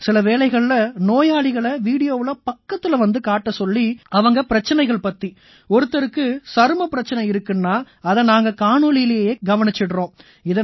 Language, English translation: Tamil, And sometimes, by coming close to the patient in the video itself, the problems he is facing, if someone has a skin problem, then he shows us through the video itself